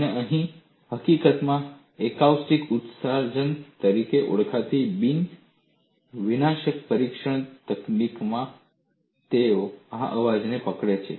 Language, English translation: Gujarati, And in fact, in one of the nondestructive testing technique called as acoustic emission, they capture this sound